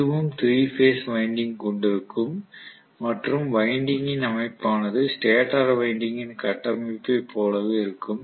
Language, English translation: Tamil, So it is also going to have 3 phase winding that is the winding structure is similar to the stator winding structure